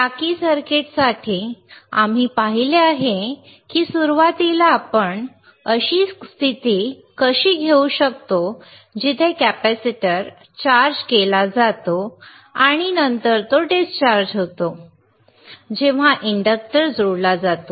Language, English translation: Marathi, So, fFor thattank circuit, we have seen that how the, initially we can take a condition where the capacitor is charged and then it discharges, w when an inductor is connected and then